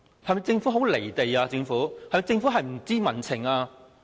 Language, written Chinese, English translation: Cantonese, 政府是否很"離地"，是否不知民情？, Has the Government lost touch with the reality and public sentiment?